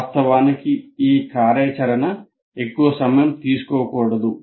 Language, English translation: Telugu, Of course, this activity should not take too long